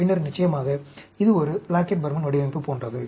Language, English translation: Tamil, Then, of course, it is like a Plackett Burman design